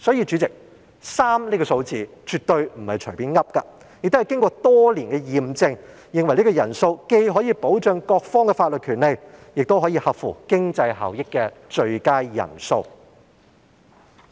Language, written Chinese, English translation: Cantonese, 主席，因此 ，3 人這個數字絕對不是隨便訂出，而是經過多年驗證，認為這是既可以保障各方法律權利，亦可以合乎經濟效益的最佳人數。, Hence President a 3 - Judge bench is definitely not set at will which has been tested over the years and considered to be cost - effective and the best for protecting the legal rights of all parties